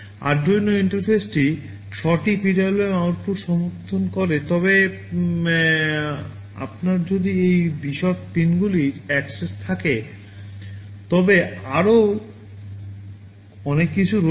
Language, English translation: Bengali, Arduino interface supports up to 6 PWM outputs, but if you have access to these detailed pins there are many more